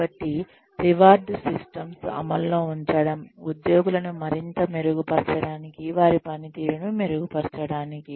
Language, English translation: Telugu, So, the reward systems, that are put in place, can further motivate employees, to improve their performance